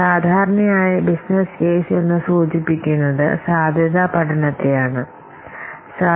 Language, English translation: Malayalam, Business case normally it refers to feasible study